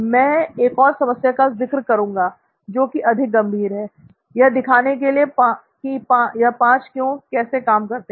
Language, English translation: Hindi, So I will take another problem, this time a more serious problem to illustrate how these 5 Whys work